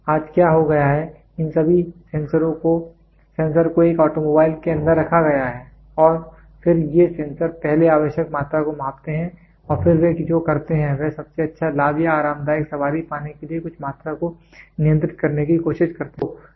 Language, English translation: Hindi, Today what has happened, all these sensors are placed inside an automobile and then these sensors first measure the required quantity and then what they do is they try to control certain quantity to get the best mileage or a comfortable ride